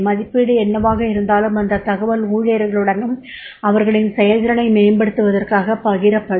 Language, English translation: Tamil, Now here the whatever the appraisal is done that information will be shared with the employees himself and for ways to improve their performance